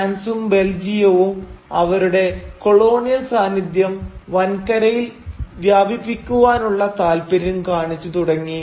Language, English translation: Malayalam, Two countries, France and Belgium, they started showing interest in expanding their colonial influence deeper within the continent